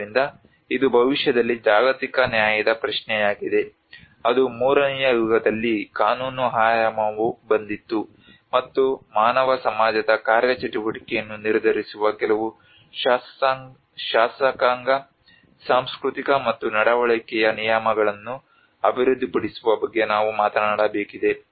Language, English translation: Kannada, So this is become a question of global justice in the near future that is where the legal dimension came in third era which is, and this is where we need to talk about develop of certain legislative cultural and behavioral norms which determine the functioning of human society and how the interactions between nature and society were created